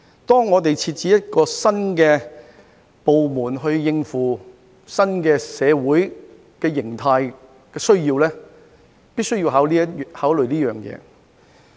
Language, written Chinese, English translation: Cantonese, 當我們設置一個新的部門應付新社會形態的需要時，必須作此考慮。, This must be taken into account when we create a new department to cope with the needs of the new social model